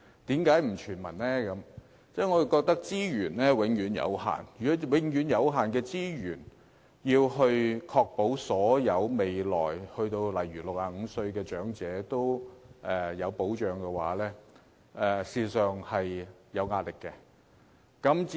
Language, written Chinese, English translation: Cantonese, 因為我們認為資源有限，用有限的資源來確保未來所有年屆65歲的長者也獲保障，事實上是有壓力的。, Because we think that given the limited resources having to guarantee the protection of all elderly aged 65 or above does constitute pressure